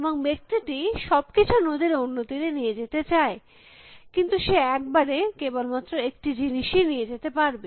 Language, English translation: Bengali, And the man needs to take everything on the other side of the river, but he can take only one thing at the time